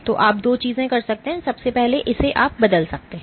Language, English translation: Hindi, So, you can do two things first is you can change